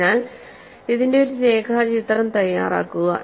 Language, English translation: Malayalam, So, make a neat sketch of this